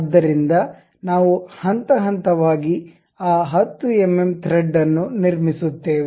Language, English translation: Kannada, So, we will go step by step construct that m 10 thread